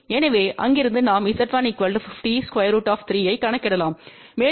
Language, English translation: Tamil, So, from there we can calculate Z1 as 50 square root 3 and we have Z1 equal to Z 2 equal to Z 3 which is equal to 86